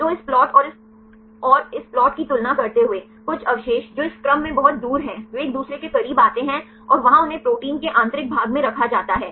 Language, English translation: Hindi, So, comparing this plot and this and this plot, some residues which are far away in the sequence they are come close to each other and there they placed at the interior of the protein